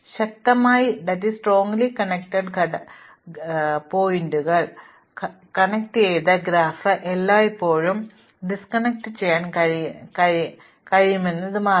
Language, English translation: Malayalam, So, it turns out that a directed graph can always be decomposed into what are called strongly connected components